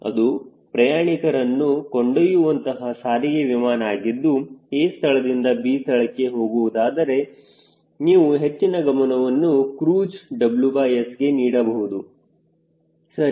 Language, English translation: Kannada, if it is a transport, the airplane for carrying passenger from point a to point b, then naturally you will give more weight is to w by s cruise, right